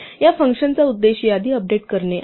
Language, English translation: Marathi, The aim of this function is to update a list